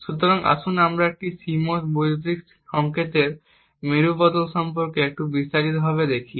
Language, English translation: Bengali, So, let us look a little more in detail about a CMOS inverter